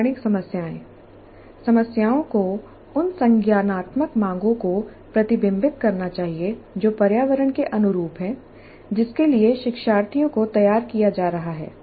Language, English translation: Hindi, The problems should reflect the cognitive demands that are consistent with the environment for which the learners are being prepared